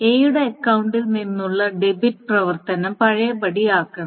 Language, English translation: Malayalam, So that debit operation from A's account must be undone